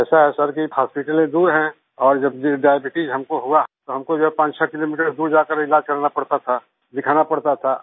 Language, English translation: Hindi, It is like this Sir, hospitals are far away and when I got diabetes, I had to travel 56 kms away to get treatment done…to consult on it